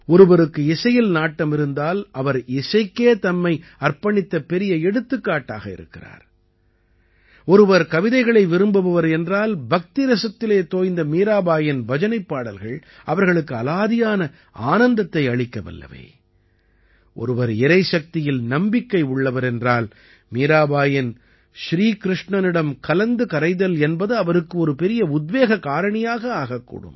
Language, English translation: Tamil, If someone is interested in music, she is a great example of dedication towards music; if someone is a lover of poetry, Meerabai's bhajans, immersed in devotion, give one an entirely different joy; if someone believes in divine power, Mirabai's rapt absorption in Shri Krishna can become a great inspiration for that person